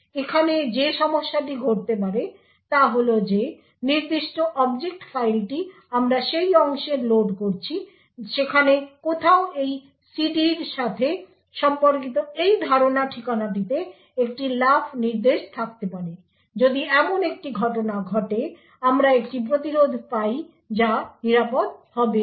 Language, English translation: Bengali, The problem that could occur over here is that somewhere in the particular object file which we are loading into that segment there could be a jump instruction to this memory address corresponding to this CD such a thing happens then we obtain an interrupt which is going to be unsafe